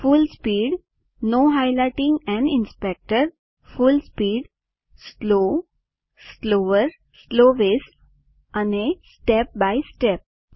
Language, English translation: Gujarati, Full speed Full speed, slow, slower, slowest and step by step